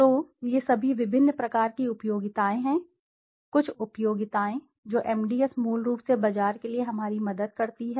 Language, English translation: Hindi, So these are all the different kinds of utilities, some of the utilities that MDS helps us as to the marketers basically